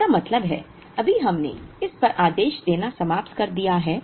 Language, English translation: Hindi, It means, right now we have finished ordering up to this